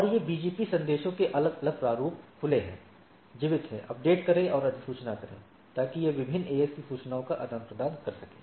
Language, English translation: Hindi, And these are different formats of the BGP messages open, keep alive, update and notification so that it can exchange information across different AS